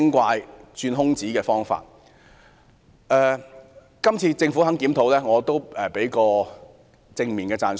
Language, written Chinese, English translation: Cantonese, 對於這次政府願意進行檢討，我會給予正面讚賞。, I appreciate positively the Governments willingness to conduct a review this time